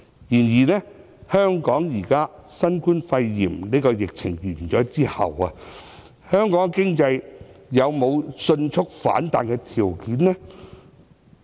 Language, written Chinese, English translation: Cantonese, 然而，新冠肺炎疫情結束後，香港的經濟有沒有迅速反彈的條件？, Nevertheless even after the novel coronavirus epidemic is over does Hong Kong have the conditions for a rapid economic rebound?